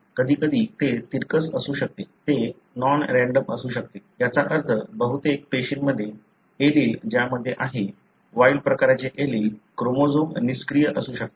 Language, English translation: Marathi, At times it could be skewed, it could be non random, meaning in majority of the cells, the allele that is having, the wild type allele, that chromosome may be inactive